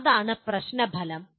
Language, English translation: Malayalam, That is the Problem Outcome 1